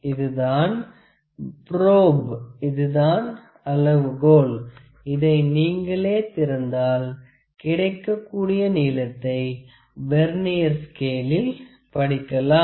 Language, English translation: Tamil, This is a probe, this is a scale, if you open it whatever the length it is getting opened that is the length that length can also be read on the Vernier scale